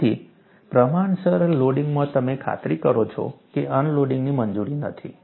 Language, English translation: Gujarati, So, in proportional loading, you ensure that no unloading is permitted